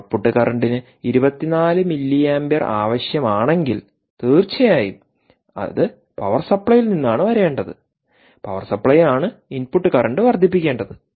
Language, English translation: Malayalam, of course, if the output current requires twenty four milli amperes it has to come from the power source and the that power source induced was the power supply